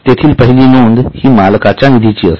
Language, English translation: Marathi, The first item there is owners fund